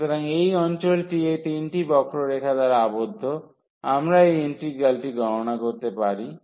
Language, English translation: Bengali, So, that is the area bounded by these 3 curves, we can compute this integral